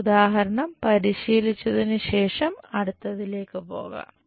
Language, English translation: Malayalam, Let us move onto next one after working out that example